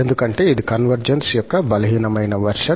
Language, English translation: Telugu, Because this is a weaker version of the convergence